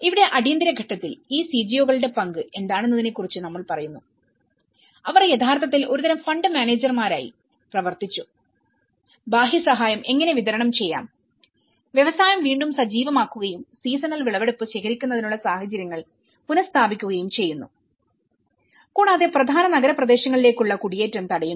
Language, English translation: Malayalam, And here, in the emergency phase, we talk about what is the role of this CGOs, they actually worked as a kind of fund managers, how to distribute the external aid, reactivating the industry and re establishing conditions for collection of seasons harvest and preventing migration to main urban areas